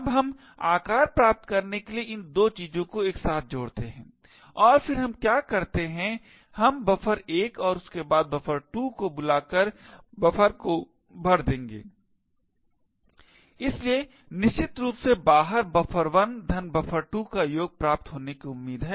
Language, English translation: Hindi, Now we add these 2 things together to obtain size and then what we do is we would fill the buffer called out with buffer 1 followed by buffer 2, so essentially out is expected to be the concatenation of buffer 1 plus buffer 2